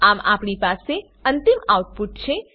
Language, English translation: Gujarati, Thus the final output we have is